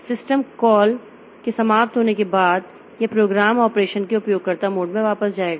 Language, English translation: Hindi, After system call ends, so it will go the program will go back to the user mode of operation